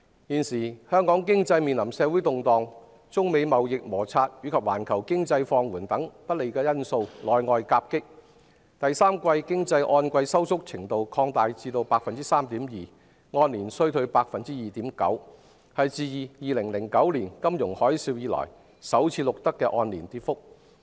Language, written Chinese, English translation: Cantonese, 現時，香港經濟面臨社會動盪，中美貿易摩擦及環球經濟放緩等不利因素內外夾擊，第三季經濟按季收縮程度擴大至 3.2%， 按年衰退 2.9%， 是自2009年金融海嘯後首次錄得的按年跌幅。, At present Hong Kongs economy is facing adverse factors from both the inside and outside such as social unrest the China - United States trade friction and the global economic slowdown . The quarterly economic contraction expanded to 3.2 % in the third quarter and the year - on - year decline was 2.9 % which is the first year - on - year decline recorded since the financial crisis in 2009